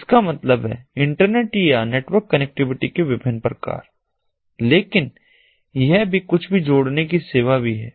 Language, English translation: Hindi, that means internet or network connectivity of different types, but also the surface of connecting anything